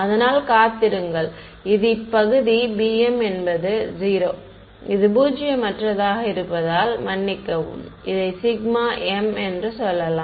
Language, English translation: Tamil, So, wait so, let us say that this is the region where this b m is 0 so, we call this non zero sorry this sigma m it